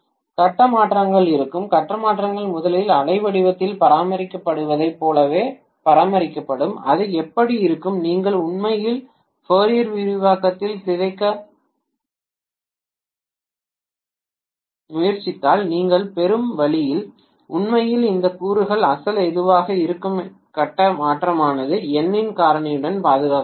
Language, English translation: Tamil, The phase shifts will be, phase shifts will be maintained exactly as it was being maintained originally in the waveform that is how it will be, if you actually try to decompose into Fourier expansion the way you get actually these components will be whatever is the original phase shift that will be preserved with a factor of N